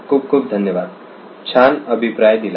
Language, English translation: Marathi, Thank you very much that was a great feedback